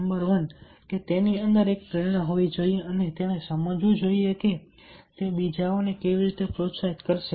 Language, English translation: Gujarati, number one, that he should have a motivation within, and he should understand that how he is going to motivate others